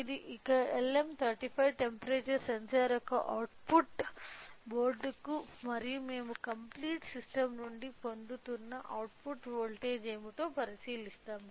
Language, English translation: Telugu, So, the output of this LM35 temperature sensor to the board and we will observe what is the output voltage we are getting from the complete system